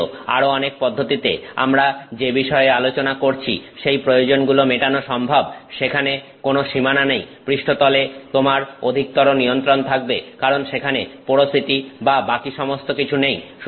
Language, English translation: Bengali, Even though in many other ways they will meet these requirements that we are talking of, there is no boundaries there, that you have better control on the surface, there is no porosity and all that